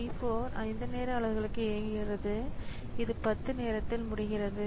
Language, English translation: Tamil, So, P4 executes for 5 time units so it completes at time 10